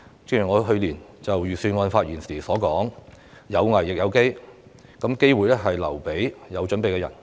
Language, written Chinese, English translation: Cantonese, 正如我去年就預算案發言時所說，有危亦有機，而機會是留給有準備的人。, As I said in my speech during the Budget debate last year out of adversity comes opportunity and opportunity favours the prepared mind